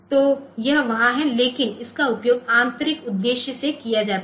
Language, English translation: Hindi, So, this is there, but this is used by the internal purpose